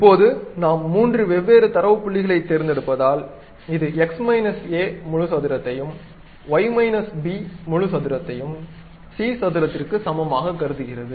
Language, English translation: Tamil, So, because now we are picking up three different data points, it try to assume x minus a whole square plus y minus b whole square is equal to c square